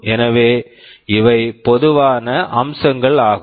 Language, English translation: Tamil, So, these are some of the common features